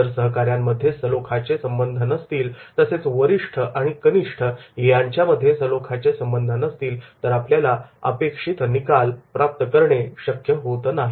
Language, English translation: Marathi, If there is not a smooth relationship amongst the colleagues, if there is not a smooth relationship between the superior and subordinate, then we cannot deliver the results